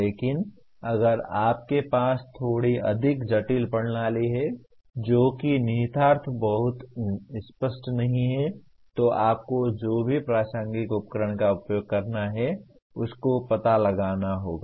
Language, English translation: Hindi, But if you have a little more complex system that is when the implications are not very obvious you have to explore using whatever relevant tools